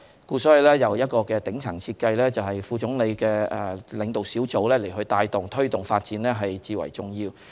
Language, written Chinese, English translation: Cantonese, 因此，有一個頂層設計，一個由副總理領導的小組帶動、推動發展最為重要。, Hence it is important to have a group being led by the Vice Premier at the highest level to bring about and promote development